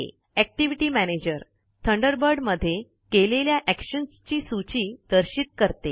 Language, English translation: Marathi, This is simple too.The Activity Manager displays the list of actions carried out in Thunderbird